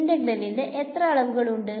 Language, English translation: Malayalam, How many in the integral is in how many dimensions